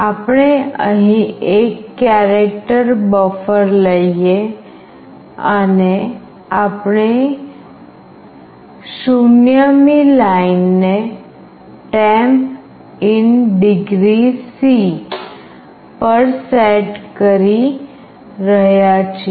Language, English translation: Gujarati, We take a character buffer here and we are setting the 0th line to “Temp in Degree C”